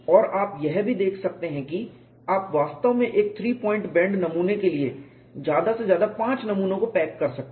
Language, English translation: Hindi, And you can also see you can actually pack as many as five specimens for one three point bend specimen